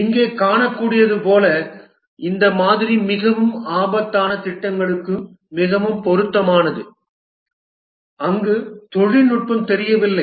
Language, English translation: Tamil, As can be seen here, this model is ideally suited for very risky projects where the technology is not known